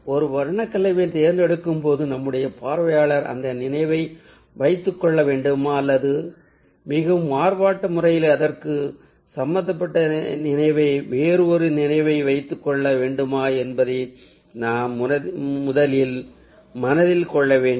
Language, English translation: Tamil, so, ah, while choosing a color combination, we need to keep in mind whether we want our viewer to carry that memory or carry some other memory that is connected to that in a very diverse manner